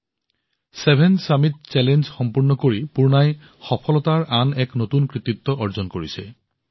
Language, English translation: Assamese, By completeing the 7 summit challenge Poorna has added another feather in her cap of success